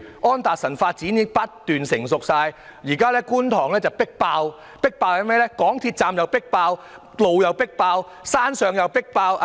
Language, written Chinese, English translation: Cantonese, 安達臣發展已經不斷成熟，而觀塘亦已"迫爆"——港鐵站"迫爆"、道路"迫爆"、住宅樓宇"迫爆"。, Development at Anderson Road is becoming more and more mature and Kwun Tong has become very overcrowded―the MTR stations are jam - packed the roads are jam - packed and the residential buildings are also jam - packed